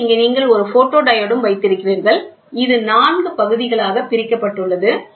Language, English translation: Tamil, And then here you have a photodiode which is divided into 4 parts